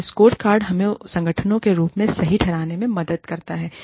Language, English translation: Hindi, And, the scorecard helps us justify, as organizations